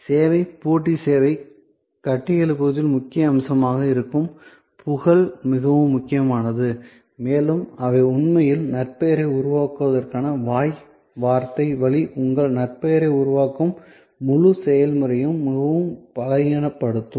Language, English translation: Tamil, There reputation matters a lot that is a core element of building the service competitive service and they are actually the way to build reputation media word of mouth very impotent the whole process of building your reputations